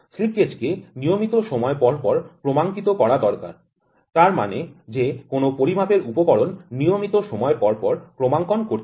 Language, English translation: Bengali, The slip gauge needs to be calibrated at regular intervals; that means any measuring instrument has to be calibrated at regular intervals